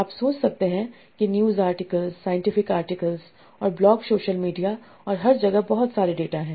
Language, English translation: Hindi, There are a lot of data in terms of news articles, scientific articles and blog, social media and everywhere